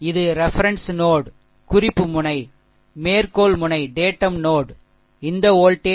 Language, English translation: Tamil, And this is your reference node datum node, and this voltage v 0 is equal to 0, right